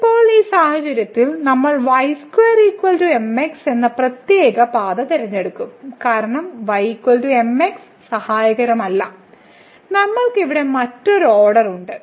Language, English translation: Malayalam, So now, in this case we will choose the special path square is equal to because, is equal to will not be helpful we have a different order here